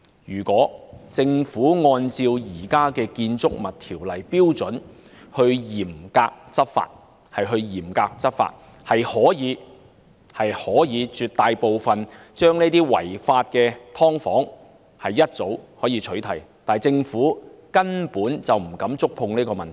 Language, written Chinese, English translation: Cantonese, 如果政府按照現行《建築物條例》的標準嚴格執法，其實早已可取締絕大部分違法的"劏房"，但政府根本不敢觸碰這個問題。, If the Government enforces the law strictly in accordance with the standards currently stipulated in BO the vast majority of the unlawful subdivided units should have been cracked down long ago . Yet the Government simply does not dare tackle this issue